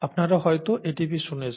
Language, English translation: Bengali, ATP you would have heard, right